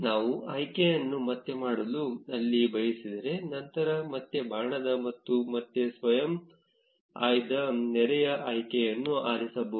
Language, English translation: Kannada, If we want to turn back that option then there comes the up arrow again, and again select the auto select neighbor option